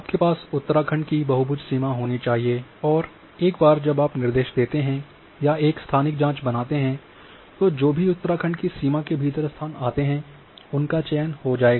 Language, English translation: Hindi, So, you need to have the boundary polygon boundary of Uttarakhand and once you instruct or make a spatial query that whatever the blazes which are following within the boundary of Uttarakhand these would be selected